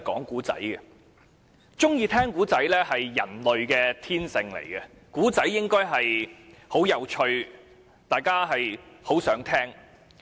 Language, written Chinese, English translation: Cantonese, 喜歡聽故事是人類的天性，而故事應是有趣的，是大家想聽的。, It is human nature to like listening to stories which are supposed to be interesting and appealing